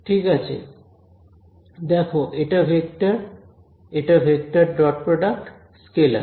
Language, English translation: Bengali, Right look at this term this is a vector this is vector dot product scalar